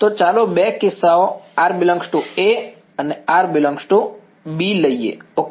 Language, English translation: Gujarati, So, let us take two cases r belongs to A and r belongs to B ok